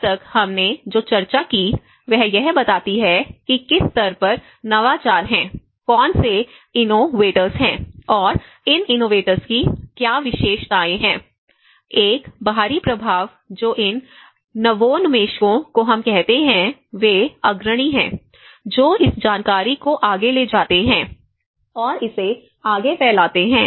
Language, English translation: Hindi, Now, till now what we discussed is the innovations at what level, who are these innovators okay and what are the characteristics of these innovators; an external influence that is where these innovators we call are the pioneers who take this information further and diffuse it further